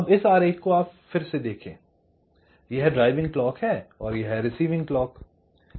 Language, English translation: Hindi, this is the drive clock, this is the receive clock